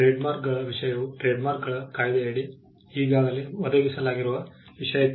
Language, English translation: Kannada, The subject matter of trademarks can fall into what has been already provided under the trademarks act